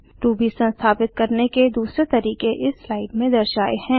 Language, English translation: Hindi, Other methods for installing Ruby are as shown in this slide